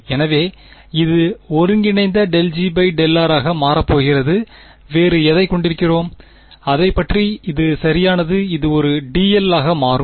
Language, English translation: Tamil, So, this is going to become integral del G by del r right and what else do we have over here that is about it right this will become a d l right